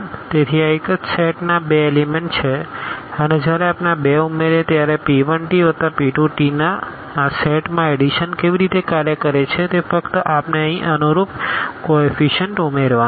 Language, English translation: Gujarati, So, these are the two elements from the same set and when we add these two so, p 1 t plus this p 2 t how the addition works in this set it is just we have to add the corresponding coefficients here